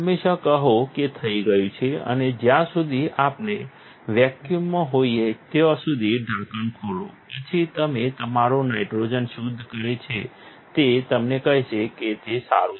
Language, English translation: Gujarati, Always say done, and after lower the lid as long as we are vacuum is satisfied and your nitrogen purge it will tell you that is well